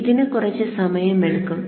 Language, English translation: Malayalam, So this will take some time